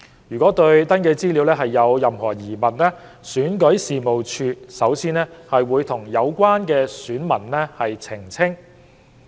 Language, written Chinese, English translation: Cantonese, 如對登記資料有任何疑問，選舉事務處首先會與有關選民澄清。, In case of queries about the registration particulars the Registration and Electoral Office would first seek clarifications from the elector concerned